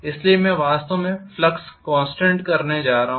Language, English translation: Hindi, So I am actually going to have rather flux as the constant